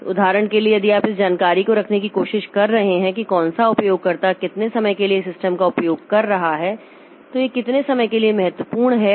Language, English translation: Hindi, So, we may for example if you are trying to keep the information about which user is using how much time using the system for how much time, then these are important